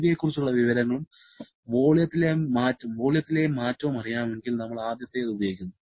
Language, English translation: Malayalam, If we know the change in volume and information about the Cv then we use the first one